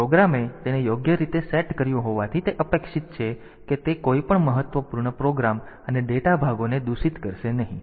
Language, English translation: Gujarati, So, since the program has set it properly it is expected that it will not corrupt any of the important program and data parts